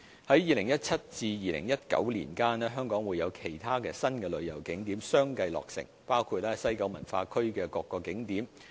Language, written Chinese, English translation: Cantonese, 在2017年至2019年間，香港會有其他新旅遊景點相繼落成，包括西九文化區的各個景點。, From 2017 to 2019 other new tourist attractions will be commissioned one after another in Hong Kong including various attractions at the West Kowloon Cultural District